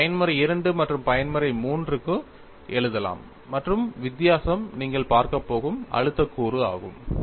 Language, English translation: Tamil, You can write for Mode 2, as well as Mode 3, and the difference is the stress component that you are going to look at